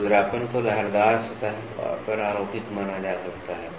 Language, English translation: Hindi, Roughness may be considered to be superimposed on a wavy surface